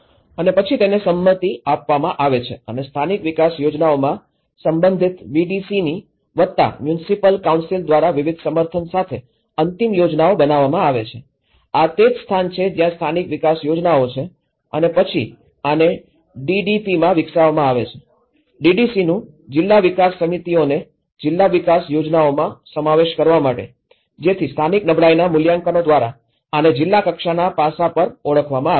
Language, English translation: Gujarati, And then these are agreed and the final plans with various endorsed by the respective VDC's plus municipal councils in the local development plans, this is where the local development plans and then these are further developed into DDP’s; DDC’s; district development committees for inclusion in to do district development plans so, this is how from a local vulnerability assessments, this has been identified at the district level aspect